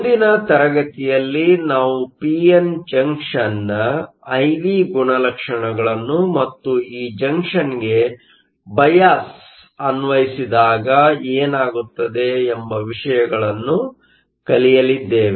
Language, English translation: Kannada, In the next class, we are going to look at the I V characteristics of a p n junction and what happens when we apply a bias to this junction